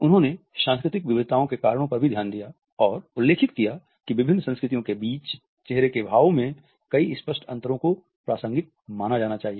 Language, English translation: Hindi, He also looked into the reasons of cultural variations and mentioned that several apparent differences in facial expressions among different cultures have to be considered as contextual